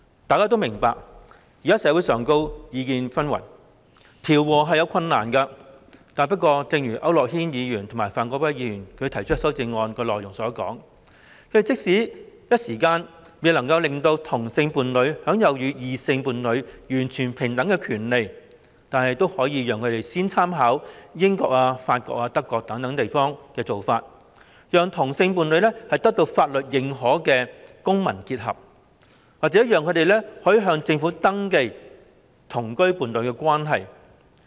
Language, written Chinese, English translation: Cantonese, 大家都明白現時社會上意見紛紜，調和確有困難，但正如區諾軒議員及范國威議員提出的修正案內容所指，即使未能於短時間內讓同性伴侶享有與異性伴侶完全平等的權利，但也可以先參考英國、法國、德國等地的做法，讓同性伴侶得到法律認可的公民結合機會，又或讓他們向政府登記同居伴侶關係。, We all understand that there are diverse views in society at present which are difficult to reconcile but as pointed out by Mr AU Nok - hin and Mr Gary FAN in their proposed amendments although it may not be possible to enable homosexual couples to enjoy the same and equal rights as heterosexual couples within a short period of time reference can first be made to the practices adopted in the United Kingdom France Germany etc so that homosexual couples will be offered the chance to enter into a legally recognized civil union or register their cohabitation relationships with the Government